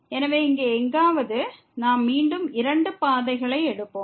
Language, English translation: Tamil, So, so, somewhere here, we will take two paths again